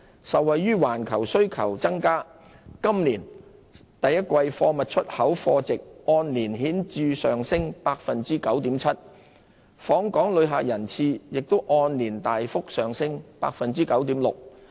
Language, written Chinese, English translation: Cantonese, 受惠於環球需求增加，今年首季貨物出口貨值按年顯著上升 9.7%， 訪港旅客人次亦按年大幅上升 9.6%。, Thanks to increasing global demands the value of total exports of goods in the first quarter of this year rose by 9.7 % over the same period in 2017 while the total visitor arrivals surges 9.6 % year on year